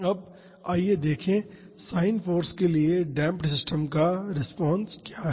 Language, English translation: Hindi, Now, let us see: what is the response of damped systems to sin force